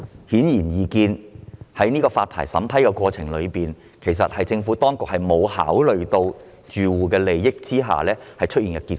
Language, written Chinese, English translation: Cantonese, 顯而易見，這是政府當局在審批牌照申請的過程中沒有考慮住戶利益而出現的結果。, Obviously this is a result of the Administrations failure to factor in occupants interests in the process of vetting and approving licence applications